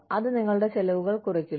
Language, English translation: Malayalam, Reduces your costs